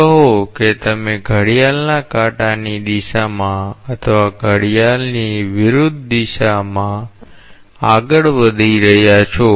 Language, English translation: Gujarati, Say you are traversing along a clockwise direction or an anti clockwise direction